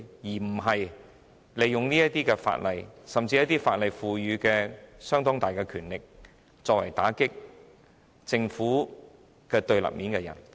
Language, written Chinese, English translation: Cantonese, 我希望政府不會利用法例或法定權力打擊處於政府對立面的人。, I hope that the Government will not use the law or statutory power to suppress dissidents . I so submit